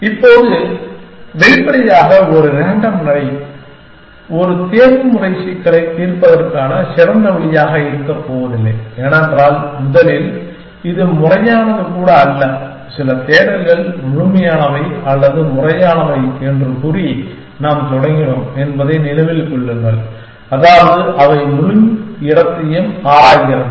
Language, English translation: Tamil, Now, obviously a random walk is not going to be a great way for solving an optimization problem, because first of all, it is not even systematic, remember that we started out by saying that some searches are complete or systematic, which means that they explores the entire space